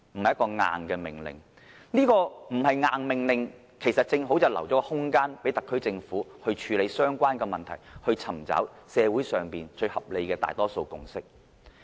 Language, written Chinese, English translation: Cantonese, 這要求不是"硬命令"的話，其實正好留下空間予特區政府處理相關問題，尋找社會上最合理的大多數共識。, The fact that it is not an order as such should actually give the SAR Government some elbow room for handling the issue and seeking the most sensible social consensus